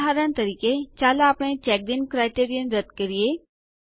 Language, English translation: Gujarati, For example, let us remove the Checked In criterion